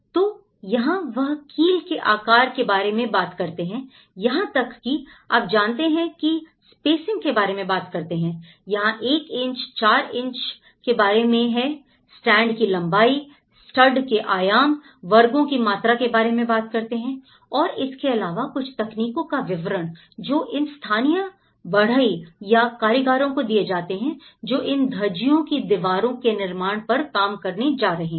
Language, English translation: Hindi, So, this is where they even talk about the nail sizes, they even talk about the spacings to it you know and now, here 1 inch by 4 inch you know, there even talking about the length of studs, the dimensions of the studs, the volume of the squares you know now, some of the technical details which has been given some guidance to these local carpenters or the artisans who are going to work on these Dhajji wall constructions